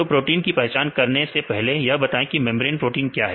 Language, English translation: Hindi, So, you identify a protein as membrane proteins what is a membrane proteins the proteins which are